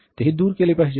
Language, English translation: Marathi, That also has to be done away